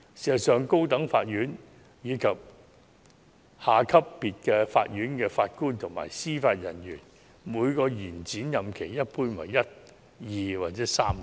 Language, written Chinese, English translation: Cantonese, 事實上，高等法院以下級別法院的法官及司法人員，每個延展任期一般為1年、2年或3年。, In practice the duration of each extended term for JJOs below the High Court level is normally one two or three years